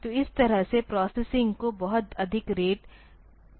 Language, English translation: Hindi, So, that way I can do the processing at a much higher rate, ok